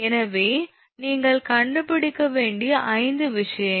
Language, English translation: Tamil, So, 5 things you have to find out